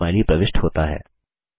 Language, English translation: Hindi, A Smiley is inserted